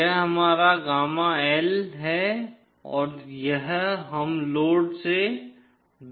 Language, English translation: Hindi, This is our gamma L and this is we are going away from the load